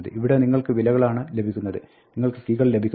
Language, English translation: Malayalam, Here you just get the values you do not get the keys